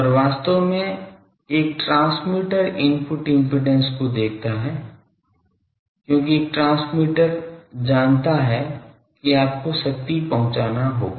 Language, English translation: Hindi, And actually a transmitter looks at the input impedance because a transmitter knows that you will have to deliver the power